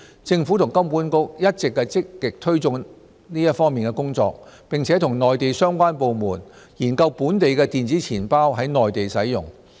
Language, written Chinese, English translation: Cantonese, 政府和金管局一直積極推動這方面的工作，並與內地相關部門研究本地電子錢包在內地使用。, The Government and HKMA have been making active efforts in this regard and we have also explored with the relevant Mainland authorities the possibility of using our local electronic wallets on the Mainland